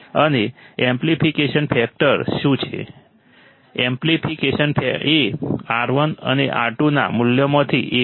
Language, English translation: Gujarati, And what is the amplification factor, amplification is done by values of R1 and R2